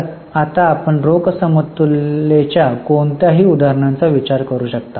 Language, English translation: Marathi, So, can you think of any examples of cash equivalent now